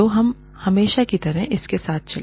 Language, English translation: Hindi, So, let us get on with it, as usual